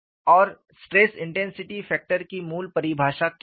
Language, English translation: Hindi, We have looked at the definition of a stress intensity factor